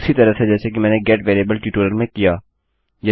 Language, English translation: Hindi, The same one that I have done in my get variable tutorial